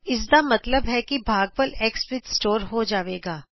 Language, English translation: Punjabi, That means the quotient will be stored in x